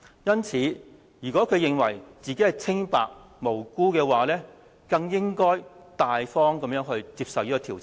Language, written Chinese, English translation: Cantonese, 因此，如果他認為自己是清白無辜的話，更應該大方接受調查。, Therefore he should really subject himself to investigations without fear if he thinks he is innocent